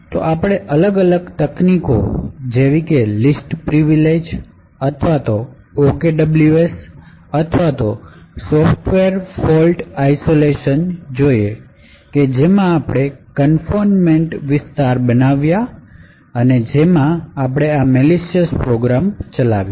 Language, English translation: Gujarati, So, what we did through multiple techniques such as least privileges or the OKWS or the software fault isolation we had created confined areas which executed the possibly malicious programs